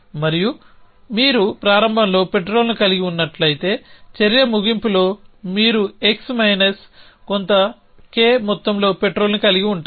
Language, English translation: Telugu, And it could say something like if you have ex amount of petrol at the start then at the end of action you will have x minus some k amount of petrol